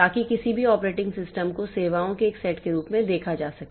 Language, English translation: Hindi, So, like that, any operating system can be viewed as a set of services